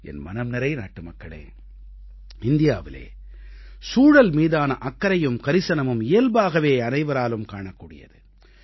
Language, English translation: Tamil, My dear countrymen, the concern and care for the environment in India seems natural